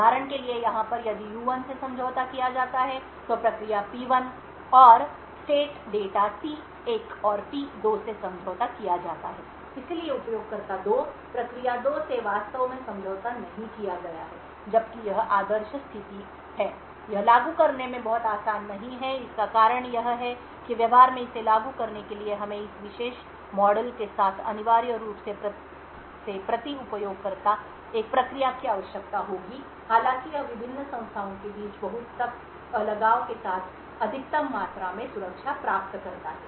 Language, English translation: Hindi, So for example over here if U1 is compromised then the process P1 and the state data T1 and P2 is compromised, so nothing about the user 2, process 2 and so on is actually compromised, while this is the ideal situation, it is not very easy to implement, the reason being is that in order to implement this in practice we would require one process per user essentially with this particular model though it achieves maximum amount of security with the very strict isolation between the various entities